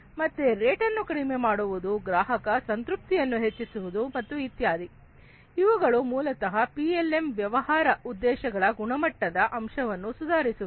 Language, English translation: Kannada, So decreasing that rate improving the customer satisfaction and so on, these are basically improving quality aspect of the business objectives of PLM